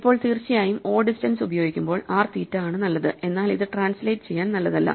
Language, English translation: Malayalam, Now, of course, using o distance is r theta is good for o distance not very good for translate